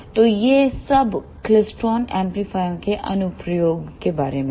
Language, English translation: Hindi, So, this is all about the applications of klystron amplifiers